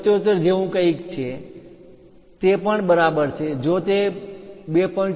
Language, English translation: Gujarati, 77 that is also perfectly fine, if it is something like 2